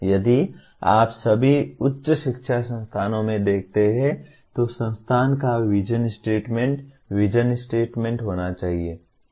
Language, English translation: Hindi, If you look at now all in higher education institution should have a vision statement, vision of the institute